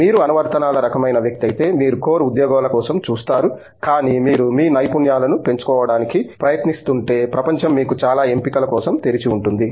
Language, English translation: Telugu, If you are applications kind of person you will look for core jobs, but if you are trying to leverage your skills then the world is open for lots of options